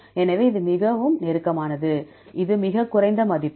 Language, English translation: Tamil, So, this is the closest, this is the lowest value